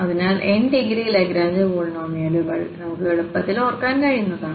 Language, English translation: Malayalam, So, this is what we can easily remember this Lagrange polynomials of degree n indeed